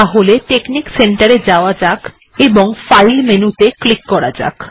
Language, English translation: Bengali, So lets go to texnic center and click the file menu